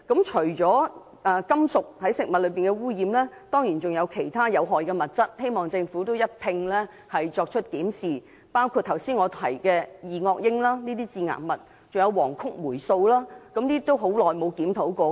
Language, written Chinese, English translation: Cantonese, 除了食物中的金屬污染外，當然還有其他有害的物質，希望政府能一併檢視，包括我剛才提到的二噁英等致癌物，還有黃曲霉素等，已很久沒有作出檢討。, Apart from metal contamination there are of course other harmful substances in food which I hope the Government can also examine . They include carcinogenic substances such as dioxin that I mentioned just now and aflatoxin which is highly toxic and has not been reviewed in a long time